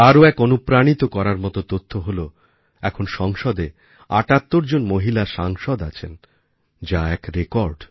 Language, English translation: Bengali, Another encouraging fact is that, today, there are a record 78 women Members of Parliament